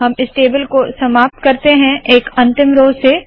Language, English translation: Hindi, We will conclude this example, conclude this table with a last row